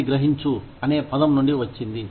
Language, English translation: Telugu, Which comes from the word, comprehend